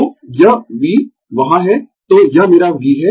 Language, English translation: Hindi, So, this V is there, so this is my V